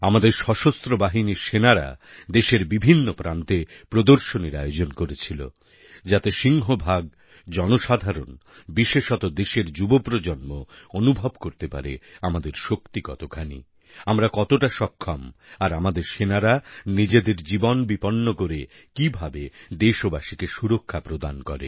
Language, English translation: Bengali, At various places in the country, exhibitions have been organised by our Armed Forces in order to apprise the maximum number of citizens, especially the younger generation, of the might we possess; how capable we are and how our soldiers risk their lives to protect us citizens